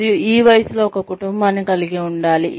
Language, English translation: Telugu, And, have a family, by this age